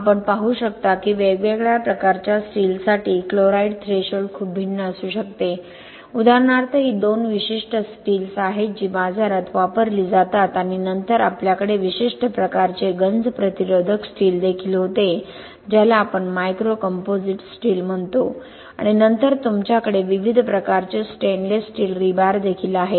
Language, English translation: Marathi, So by that way we determine the chloride threshold and you can see the chloride threshold for different types of steel can be very different for example these 2 are the typical steels which are used in the market and then we also had special type of corrosion resistant steel which we called micro composite steel and then you also have stainless steel rebar of different types